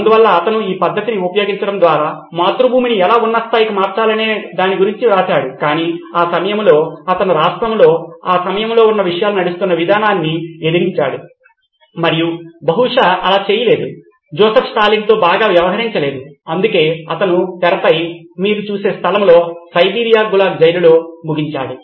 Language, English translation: Telugu, So it turns out that he not only wrote about how to transform the motherland into greater heights by using this method but in the way he had also sort of put down the way things were run in the state at that time and that probably didn’t go very well with Joseph Stalin and that’s why he ended up in the place that you see on the screen, Siberia Gulag prison